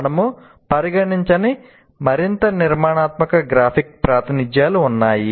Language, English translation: Telugu, Still there are more structured graphic representations which we will not see here